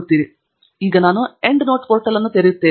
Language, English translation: Kannada, And I am now opening up the End Note portal here